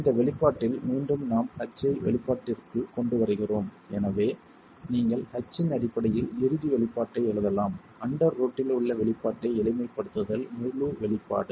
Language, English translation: Tamil, In this expression again we bring in H into the expression and therefore you can write down the final expression in terms of H simplifying the expression in the under root, the entire expression